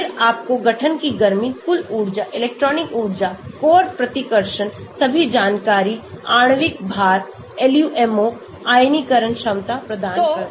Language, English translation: Hindi, then gives you the heat of formation, total energy, electronic energy, core repulsion all the information , molecular weight, LUMO, ionization potential